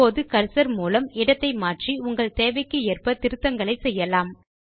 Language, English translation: Tamil, Now by navigating the cursor, you can edit the cell as per your requirement